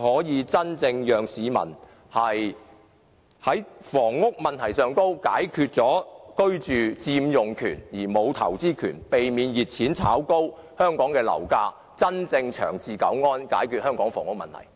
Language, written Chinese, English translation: Cantonese, 這樣既可解決市民的居住問題，而由於買家有佔用權而沒有投資權，亦避免了熱錢炒高樓價，政府便可真正長治久安，解決香港房屋問題。, This approach not only resolves the housing needs of the public but as buyers only have the right to occupy the flat but not to invest in it it also avoids the situation of property prices being pushed up by hot money through speculation . Then the Government can really attain long - term stability and can resolve the housing problem